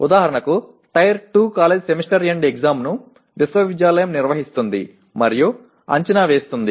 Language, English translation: Telugu, For example in tier 2 college Semester End Examination is conducted and evaluated by the university